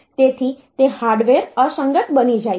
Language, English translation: Gujarati, So, it becomes the hardware becomes incompatible